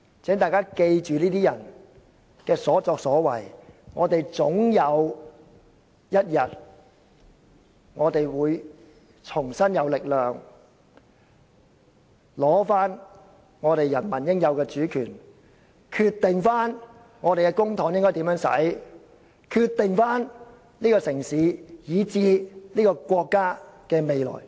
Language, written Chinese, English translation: Cantonese, 請大家記住這些人的所作所為，我們總有一天會重新有力取回人民應有的主權，決定我們的公帑應如何運用，決定這個城市以至國家的未來。, We should keep what these people have done in our mind and someday we shall seize back the power we deserve to decide how public money should be used and decide the future of this city and even our country